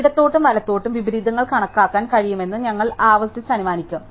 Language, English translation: Malayalam, So, we will recursively assume that we can count the inversions in left and right